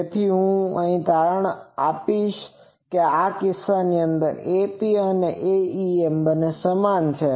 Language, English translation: Gujarati, So, what is turns out that in this case both A p and A em are same